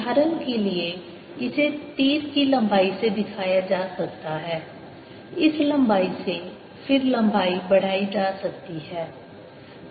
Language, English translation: Hindi, for example, it could be shown by the length of the arrow, this length